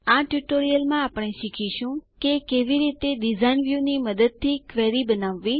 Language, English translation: Gujarati, In this tutorial, we will learn how to Create a query by using the Design View